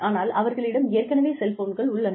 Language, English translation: Tamil, But, maybe, they already have cellphones